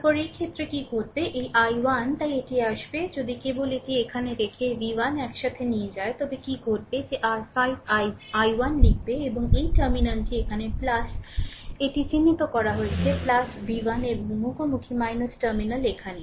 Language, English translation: Bengali, Then in this case what will happen, this i 1 so it will be actually, if you just putting it here, taking v 1 together right, then what will happen that your you write 5 i 1, and this terminal this point is plus i marked it here right, plus v 1 right and encountering minus terminal here